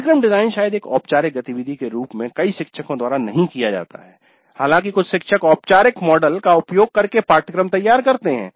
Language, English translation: Hindi, Course design as a formal activity probably is not done by many faculty though some faculty do design the courses using a formal model but it may not be that commonly practiced in major of the institutes